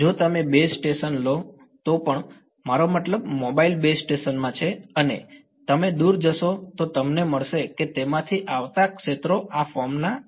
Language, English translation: Gujarati, Even if you take the base station I mean in the mobile base station and you go far away from you will find the fields coming from it are of this form